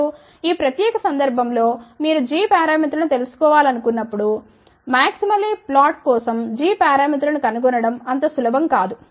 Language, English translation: Telugu, Now, in this particular case again when you want to find out the g parameters it is now not as simple as finding g parameters for maximally flag